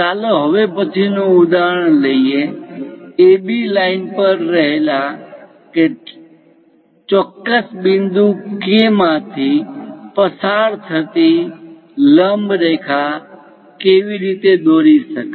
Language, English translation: Gujarati, Let us take next example, how to draw a perpendicular line passing through a particular point K, which is lying on AB line